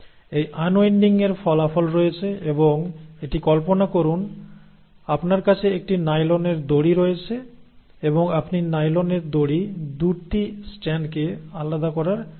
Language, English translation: Bengali, And this unwinding has its consequences and imagine it like this, you have a nylon rope and you are trying to pull apart the 2 strands of a nylon rope